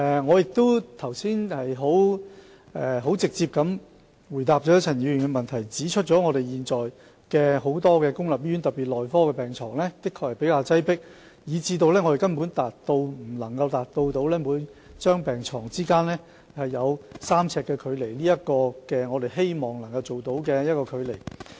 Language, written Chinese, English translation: Cantonese, 我剛才已直接回答了陳議員的質詢，指出現在很多公立醫院，特別是內科病房的確比較擠迫，以致我們根本無法達到每張病床之間有3呎距離，即我們希望維持的距離。, I have given a direct answer to Dr CHANs question just now stating that many public hospitals medical wards in particular are relatively crowded at present and we can in no way maintain the distance between beds at 3 ft the distance we hope to maintain